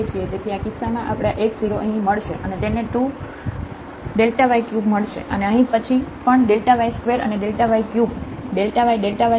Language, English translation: Gujarati, So, in this case we will get this x 0 here 0, and it will get 2 delta y cube and then here also y delta y square and this delta y will make delta y cube